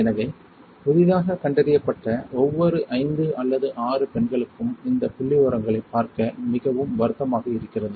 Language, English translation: Tamil, Thus, for every 5 or 6 women newly diagnosed one is dying very sad to see these figures